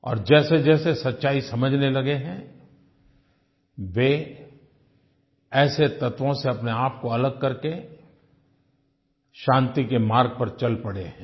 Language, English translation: Hindi, And as they understand the truth better, they are now separating themselves from such elements and have started moving on the path of peace